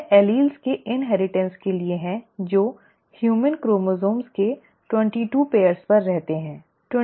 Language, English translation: Hindi, It is for the inheritance of alleles that reside on the 22 pairs of human chromosomes